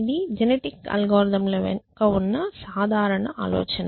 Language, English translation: Telugu, So, that is the general idea behind genetic algorithms